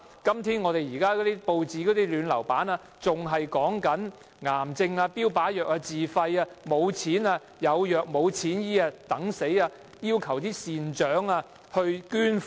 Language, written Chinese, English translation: Cantonese, 今天報章的"暖流版"還在報道癌症的標靶藥物，病人須自費購買，沒錢購買的病人只能等死，要求善長捐款。, It is reported in the Warm Current section of a newspaper today that a patient seeks help to buy a self - financed target therapy drug for cancer and without financial help he can only wait for death